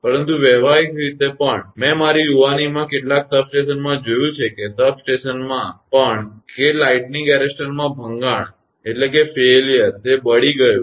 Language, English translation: Gujarati, But even practically, I have seen in some substation in my young age that even at the substation that lightning arrester failure; it got burned